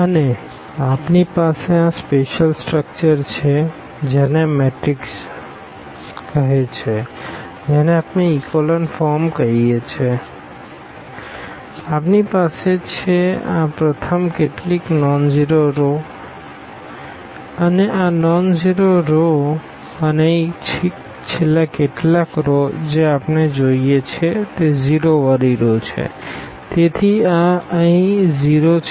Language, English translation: Gujarati, And, we have this special structure which of the matrix which we call the echelon form; we have these the first few rows are the nonzero rows this non nonzero rows and the last few rows here which we see are the 0s rows; so, this here 0s